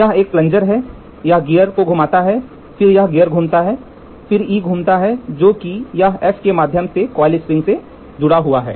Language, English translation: Hindi, Here is a plunger, rack this gear rotates, then this gear rotates, then this E rotates, this in turn is attached to the coil spring